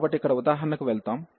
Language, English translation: Telugu, So, let us go to the example here